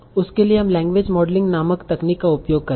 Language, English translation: Hindi, For that we will use a technique called language modeling